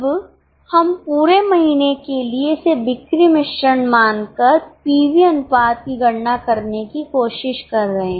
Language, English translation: Hindi, Now we are trying to calculate the PV ratio for the month as a whole, treating it as a sales mix